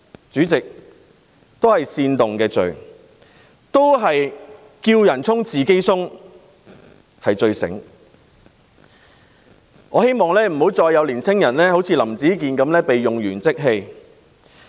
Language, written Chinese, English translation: Cantonese, 主席，這是煽動罪，"叫人衝，自己鬆"是最聰明的做法，但我希望不再有青年人好像林子健一樣被用完即棄。, Chairman this is criminal incitement . Urge others to charge forward but flinch from doing so themselves is the smartest approach . I hope that no more young people will be like Howard LAM being discarded after use